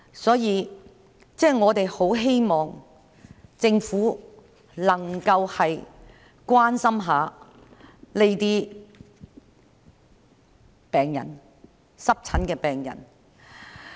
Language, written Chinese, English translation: Cantonese, 所以，我很希望政府能夠關心一下這些濕疹病人。, Therefore I very much hope that the Government can care about these eczema patients